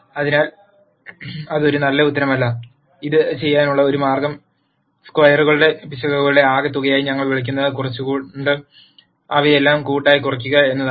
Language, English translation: Malayalam, So, that is not a good answer at all, one way to do this is to collectively minimize all of them by minimizing what we call as the sum of squares errors